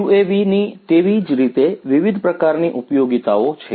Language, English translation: Gujarati, UAVs have lot of different applications